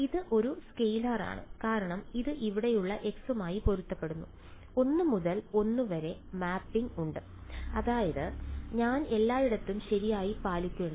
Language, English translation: Malayalam, It is a scalar because it matches with the x over here right, there is a one to one mapping and that is the r that I maintained everywhere right